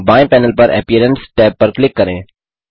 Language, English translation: Hindi, On the left panel, click on the Appearance tab